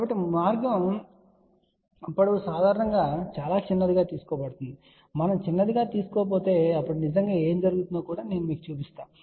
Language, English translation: Telugu, So, this path length is generally taken very very small if we do not take small, then also I will show you what really happen